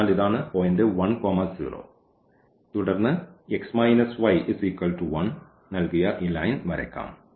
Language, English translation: Malayalam, So, this is the point 1 0 and then we can draw this line given by x minus y is equal to 1